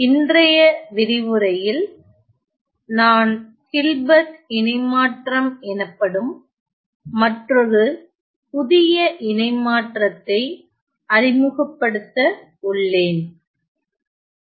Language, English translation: Tamil, In today’s lecture I am going to introduce yet another new transform known as the Hilbert transform